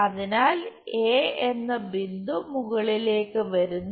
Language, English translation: Malayalam, Now, what we have is point A